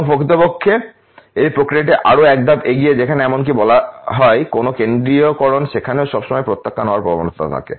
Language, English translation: Bengali, And in fact this processes even one step ahead where even if there is let say a centering there is always tendency of rejects to be produce